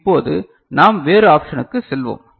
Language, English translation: Tamil, Now, we go to the other option